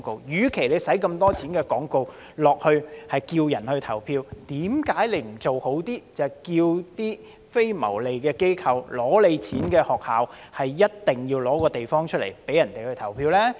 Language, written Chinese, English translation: Cantonese, 既然花了這麼多錢賣廣告呼籲市民投票，為何不做好一些，要求非牟利機構、取得撥款的學校一定要撥出地方，供市民投票呢？, Since so much money is spent on advertising to encourage people to vote why not do a better job and require non - profit organizations and publicly - funded schools to make available their premises for people to vote?